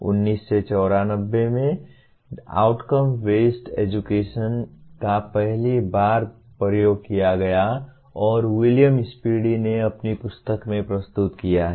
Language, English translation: Hindi, The term outcome based education was first used and presented by William Spady in his book in 1994